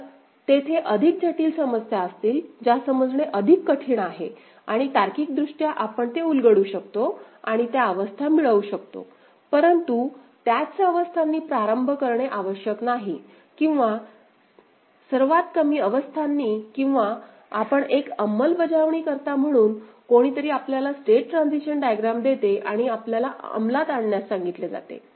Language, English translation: Marathi, So, there will be more complex problems, more difficult to understand right and logically we may unfurl it and get those states; but it is not necessary that those states to begin with or the most minimized ones or we as an implementer, somebody gives us a state transition diagram, we have been asked to implement it ok